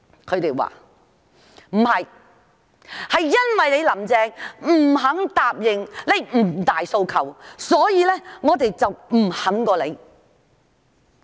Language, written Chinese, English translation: Cantonese, 他們說，因為"林鄭"不肯答應"五大訴求"，所以他們不罷休。, They say that it is because Carrie LAM refuses to agree to the five demands and therefore they will not give in